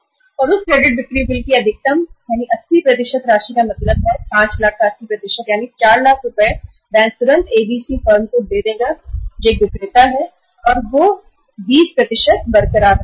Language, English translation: Hindi, And maximum up to the 80% amount of that credit sale bills means 80% of the 5 lakhs that is 4 lakh rupees bank would immediately give to the firm to ABC who is a seller and they will retain the 20%